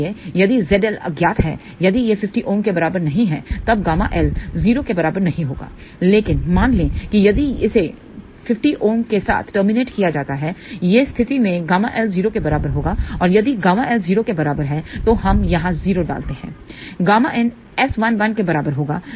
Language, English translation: Hindi, So, if Z L is unknown, if it is not equal to 50 ohm; then, gamma L will not be equal to 0, but suppose if it is terminated with 50 ohm in that case gamma L will be equal to 0 and if gamma L is equal to 0, we put 0 over here gamma input will be equal to S 1 1